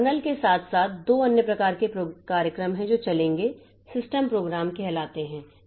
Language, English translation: Hindi, So, along with the kernel there are two other types of programs that will be running